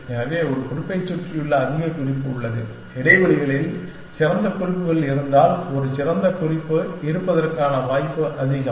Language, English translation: Tamil, So, there have the more note surrounding a note, the more the likelihood of a better note existing, if there are better notes in the spaces essentially